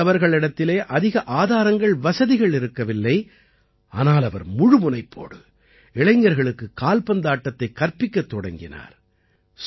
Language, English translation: Tamil, Raees ji did not have many resources, but he started teaching football to the youth with full dedication